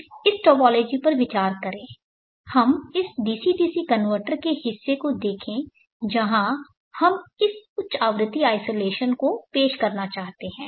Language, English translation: Hindi, Consider this topology let us look at this DC DC converter portion where we would like to introduce this high frequency isolation